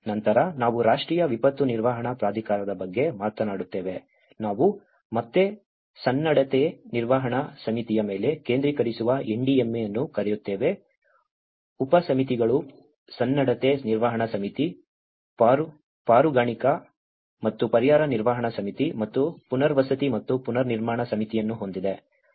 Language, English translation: Kannada, Then, we talk about National Disaster Management Authority, we call the NDMA which again focuses on the preparedness management committee has subcommittees, preparedness management committee, rescue and relief management committee and rehabilitation and reconstruction committee